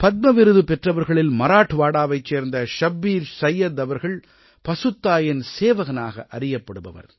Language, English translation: Tamil, Among the recipients of the Padma award, ShabbirSayyed of Marathwada is known as the servant of GauMata